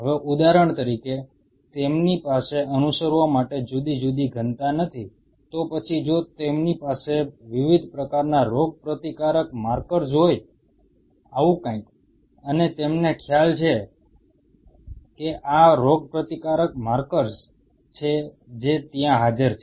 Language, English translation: Gujarati, Now say for example, they do not have different densities to follow, then if they have different kind of immune markers, something like this and you have an idea that these are the immune markers which are present there